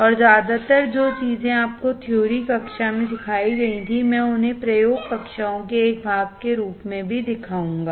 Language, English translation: Hindi, And mostly, the things that were taught to you in the theory class, I will also show also as a part of the experiment classes